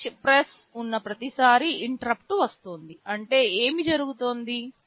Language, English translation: Telugu, Every time there is a switch press means an interrupt is coming what will happen